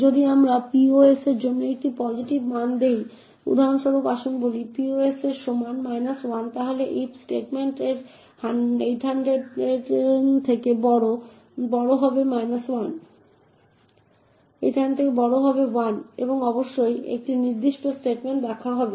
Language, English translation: Bengali, If we give a negative value for pos for example let us say pos is equal to minus 1 then this if statement would have minus 1 greater than 800 and definitely this particular if statement would be false